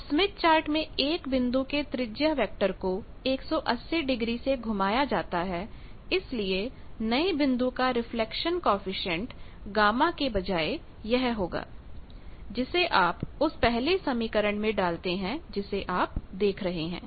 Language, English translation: Hindi, Now in the smith chart radius vector of a point is rotated by 180 degree, so reflection coefficient of the new point will become instead of gamma it will be e to the power j pi you put it into that first equation you see Z bar becomes y